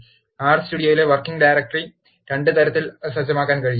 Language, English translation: Malayalam, The working directory in R Studio can be set in 2 ways